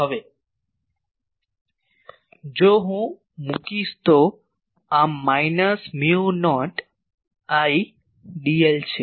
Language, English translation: Gujarati, Now, if I put this is equal to minus mu not Idl